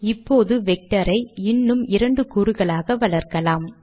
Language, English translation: Tamil, Let us now augment the vector with two more components